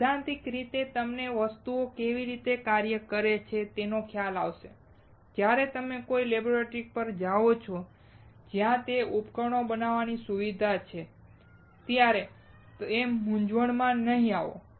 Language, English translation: Gujarati, Theoretically, you will have idea of how things work and when you go to a laboratory which is a facility to fabricate those devices you will not get confused